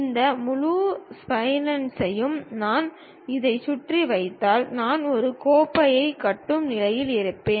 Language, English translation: Tamil, If I revolve this entire spline around this one, I will be in a position to construct a cup